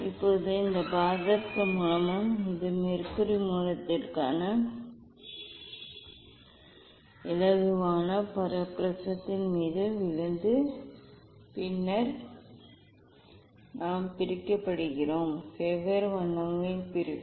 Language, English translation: Tamil, Now, this mercury source and this for mercury source that is lighter coming falling on the prism and then we are getting separation of the; separation of the different colours